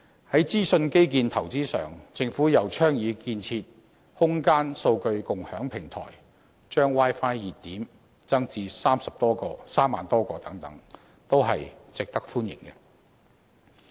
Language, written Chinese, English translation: Cantonese, 在資訊基建投資上，政府又倡議建設"空間數據共享平台"，把 Wi-Fi 熱點增至3萬多個等，均值得歡迎。, On investment in information infrastructure the Government proposes establishing a Common Spatial Data Infrastructure and increasing the number of Wi - Fi hotspots to more than 30 000 . These proposals and measures are all to be welcomed